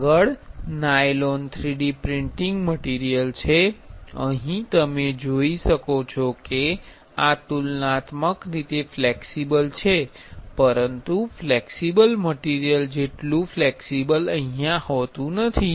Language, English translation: Gujarati, Next is nylon 3D printing material, here you can see this is comparatively flexible, but not as flexible as the flexible materials